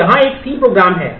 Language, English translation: Hindi, So, here is a C program